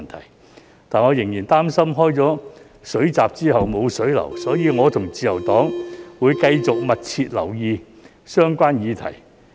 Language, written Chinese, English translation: Cantonese, 但是，我仍然擔心開了水閘之後無水流，所以我和自由黨會繼續密切留意相關議題。, But I still worry that no water will flow out after the watergate is opened so the Liberal Party and I will continue to keep a close watch on the relevant issue